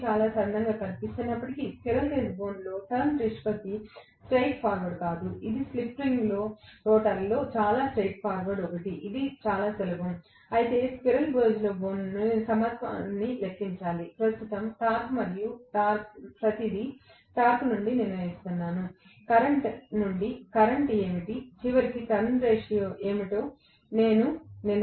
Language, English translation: Telugu, Although it looks very simple, but the Turns ratio in squirrel cage is not a straight forward one, it is very straight forward one in the slip ring rotor, it is pretty simple, whereas in the squirrel cage I have to calculate the equivalence in terms of current, torque and everything, from the torque I will decide, what is the current from the current I decide what is ultimately the Turns ratio, Right